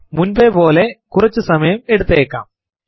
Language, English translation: Malayalam, As before, this may take a while